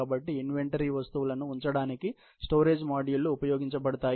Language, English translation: Telugu, So, the storage modules are used to hold inventory items